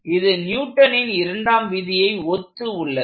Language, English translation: Tamil, So, this looks very analogous to Newton's second law